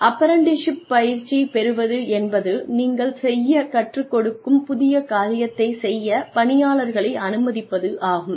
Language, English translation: Tamil, Apprenticeship means, that you let people do, what the new thing, that you are teaching them, to do